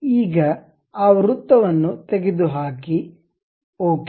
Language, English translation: Kannada, Now, remove that circle, ok